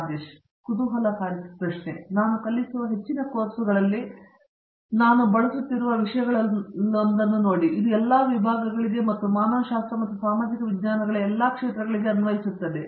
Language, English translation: Kannada, Very interesting, see one of the things that I use in most of the courses that I teach and it applies to all disciplines and all areas of humanities and social sciences